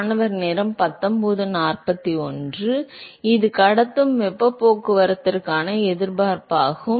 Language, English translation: Tamil, So, it is the resistance for conductive heat transport